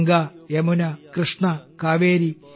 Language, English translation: Malayalam, Ganga, Yamuna, Krishna, Kaveri,